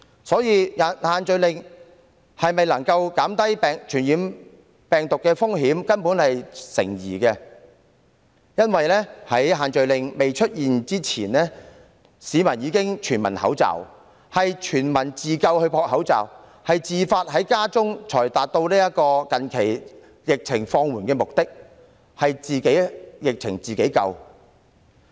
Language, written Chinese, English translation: Cantonese, 所以，限聚令是否能夠減低傳染病毒的風險，根本成疑，因為在限聚令未推出之前，市民已全民戴口罩，自救搶購口罩，自發逗留家中，才能達到疫情於最近放緩的目的，可說是"自己疫情自己救"。, Therefore it is indeed doubtful whether the social gathering restrictions can minimize the risk of spreading the virus because before the imposition of such restrictions all citizens had tried to save themselves under the epidemic situation by wearing face masks going on a panic buying of face masks for themselves and staying at home voluntarily . These have helped to bring about the recent easing of the epidemic